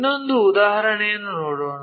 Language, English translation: Kannada, Let us take another example